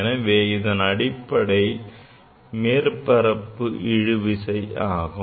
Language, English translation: Tamil, That is because of the surface tension